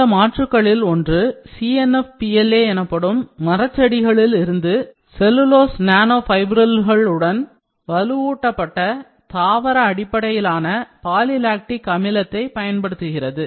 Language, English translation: Tamil, One of these alternatives use plant based poly lactic acid reinforced with cellulose nanofibrils from woody plants known as CNF PLA